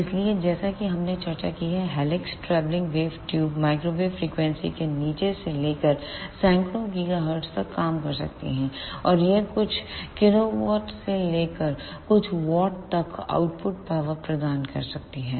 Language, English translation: Hindi, So, as we discussed helix travelling wave tubes can work from below microwave frequencies to about hundreds of gigahertz and this can provide output powers from few kilowatt to few watts